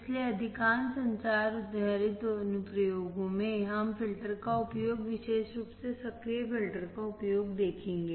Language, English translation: Hindi, So, most of the communication based applications, we will see the use of the filters and in particular active filters